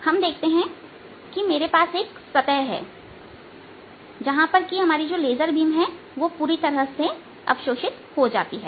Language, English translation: Hindi, so what we are seeing is i have a surface on which the laser beam which is coming, let's, absorbed completely